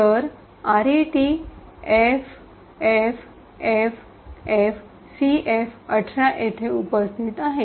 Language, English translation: Marathi, So, RET is present at FFFFCF18